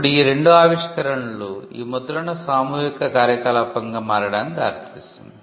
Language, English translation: Telugu, Now these two inventions lead to printing becoming a mass activity